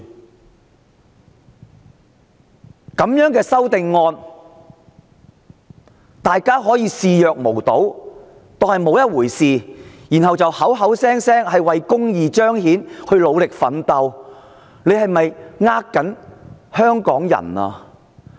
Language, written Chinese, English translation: Cantonese, 面對這樣的修訂建議，大家仍可以視若無睹，不當作一回事，然後口口聲聲說是為彰顯公義而努力奮鬥嗎？, In the face of the amendment proposed can we still turn a blind eye to it? . Can we still disregard it and blatantly say that we have to work hard for the amendment for the sake of justice?